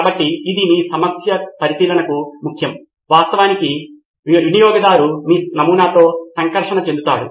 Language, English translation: Telugu, So that is important to your observation, the customer actually interacting with the prototype